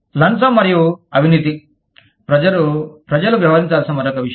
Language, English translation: Telugu, Bribery and corruption is another thing, that people have to deal with